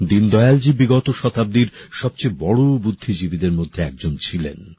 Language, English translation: Bengali, Deen Dayal ji is one of the greatest thinkers of the last century